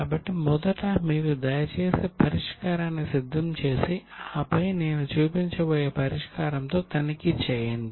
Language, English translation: Telugu, So please prepare the solution first and then check it with the solution which I am going to show